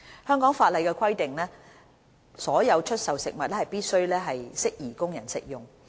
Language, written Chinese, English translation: Cantonese, 香港法例規定所有出售的食物必須適宜供人食用。, Hong Kong laws stipulate that all food for sale must be fit for human consumption